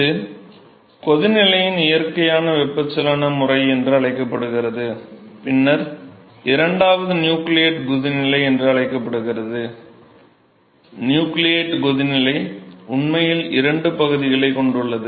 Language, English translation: Tamil, So, this is what is called the natural convection mode of boiling, and then the second one is called the nucleate boiling, nucleate boiling actually has two regions